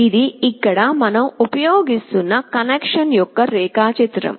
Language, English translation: Telugu, So, this is the connection diagram that we will be using